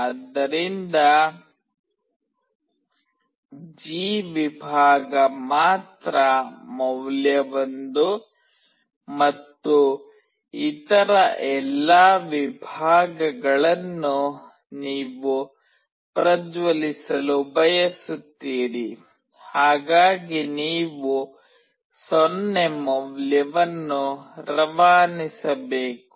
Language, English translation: Kannada, So, only the G segments will have value 1 and all other segments, you want to glow, you have to pass a value 0